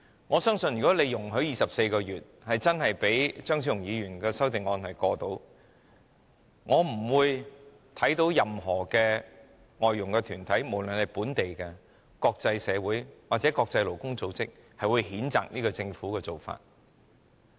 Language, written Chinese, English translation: Cantonese, 我相信如果當局容許把檢控時限定為24個月，讓張超雄議員的修正案通過，我看不到有任何外傭團體，無論是本地或國際社會或國際勞工組織會譴責政府的做法。, I think if the authorities would allow the time limit for prosecution to be set at 24 months and endorse Dr Fernando CHEUNGs amendment I do not see any foreign domestic helper organization whether it be local or international organizations or the International Labour Organization would condemn the Government for doing so